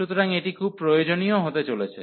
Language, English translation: Bengali, So, this is going to be very useful